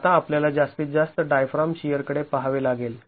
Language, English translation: Marathi, Now, we will have to look at the maximum diaphragm shear